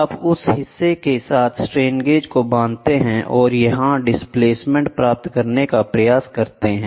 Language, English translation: Hindi, You bond the strain gauge with the member and try to get the displacement here